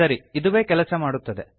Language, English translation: Kannada, Okay, Same thing works